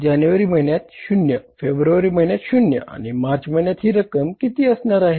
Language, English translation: Marathi, Nill in the month of January, nil in the month of February and in the month of March is going to be how much